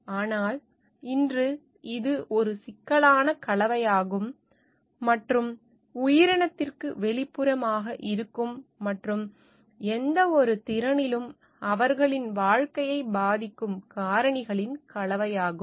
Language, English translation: Tamil, But, now today it is a complex combination and mix of factors that are external to the organism and influence their living in any capacity